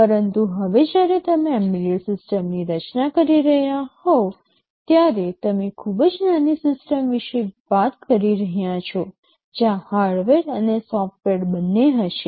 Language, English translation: Gujarati, But now when you are designing an embedded system, you are talking about a very small system where both hardware and software will be there